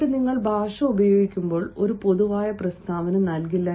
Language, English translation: Malayalam, and then, when you are using language, dont give a sort of generalize